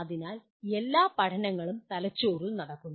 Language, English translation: Malayalam, So after all learning takes place in the brain